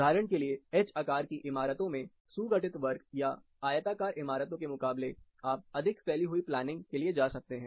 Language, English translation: Hindi, H shape buildings for example, in place of compact square or rectangular buildings you go for more distributed planning